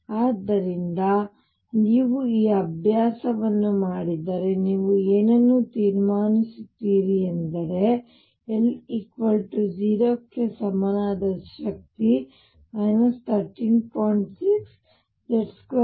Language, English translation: Kannada, So, if you do this exercise what you will conclude is that the energy for a state with l equal to 0 is minus 13